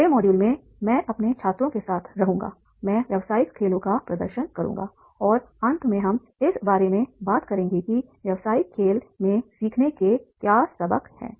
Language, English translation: Hindi, In the next module I will be with my students I will demonstrating the business games and at the last we will be talking about what lessons of learning are there in the business game